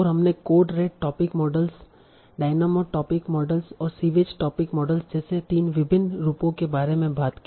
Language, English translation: Hindi, And we talked about three different variations like cold data topic models, dynamitomic models and sewage topic models